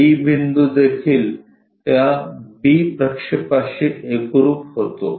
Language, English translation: Marathi, B point also coincide with that projection to b